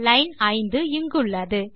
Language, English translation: Tamil, Line 5 is here